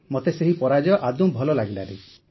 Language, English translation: Odia, I didn't like the defeat